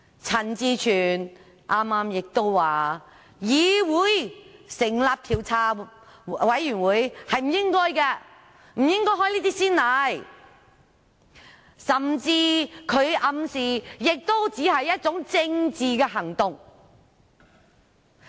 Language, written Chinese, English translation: Cantonese, 陳志全議員剛才亦說，議會不應該成立調查委員會，不應開這種先例，他甚至暗示這只是政治行動。, Mr CHAN Chi - chuen also said just now that the Council should not establish an investigation committee and that such a precedent should not be set . He even hinted that this is only a political move